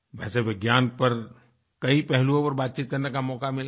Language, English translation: Hindi, I have often spoken about many aspects of science